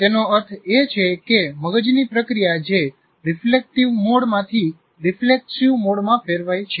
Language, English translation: Gujarati, That means the brain process shifts from what is called reflective mode to reflexive mode